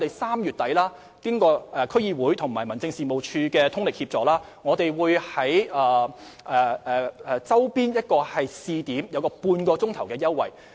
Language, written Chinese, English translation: Cantonese, 此外，經過區議會和民政事務處的通力協助，我們3月底會在周邊試點提供半小時泊車優惠。, In addition through the close collaboration between the District Councils and District Offices we will provide a half - hour parking concession in a neighbouring area on a pilot basis in late March